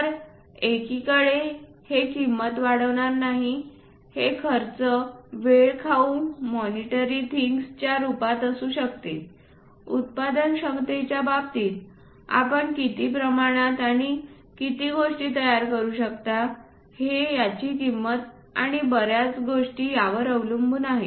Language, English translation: Marathi, So, that on one side it would not increase the cost this cost can be time consuming it can be in terms of monetary things, in terms of production how much how many quantities you would like to ah prepare it that also cost and many things